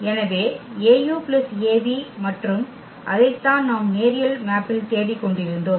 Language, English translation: Tamil, So, a u plus a v and that is what we were looking for the linear map